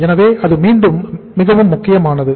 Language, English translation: Tamil, So that is again a very very important